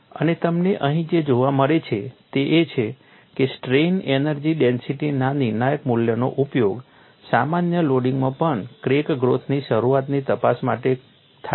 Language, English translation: Gujarati, And what you find here is this critical value of strain energy density is used to investigate the onset of crack growth in generic loading too